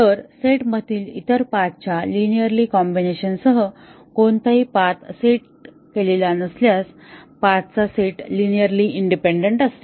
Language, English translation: Marathi, So, a set of paths is linearly independent if no path set with a linear combination of other paths in the set